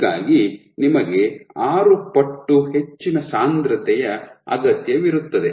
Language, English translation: Kannada, So, you require a 6 fold higher concentration